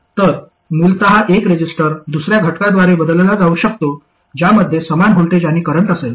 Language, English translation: Marathi, So essentially a resistor can be replaced by another element which has the same voltage and current across it